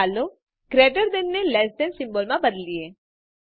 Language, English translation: Gujarati, let us change thegreater than to less than symbol